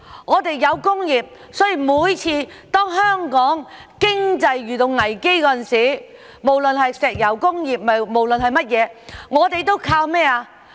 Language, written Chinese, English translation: Cantonese, 我們有工業，所以每次當香港的經濟遇到危機時，無論是石油危機等，我們都靠甚麼？, As we had manufacturing industry so whenever the Hong Kong economy faced any crisis whether it was the oil crisis etc what did we rely on?